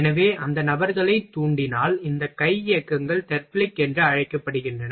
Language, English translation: Tamil, So, inspite of those people these hand motions are known as Therblig